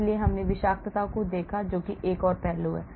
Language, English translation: Hindi, So, we looked at toxicity that is another aspect